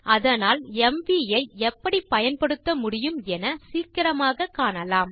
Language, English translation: Tamil, So let us quickly see how mv can be used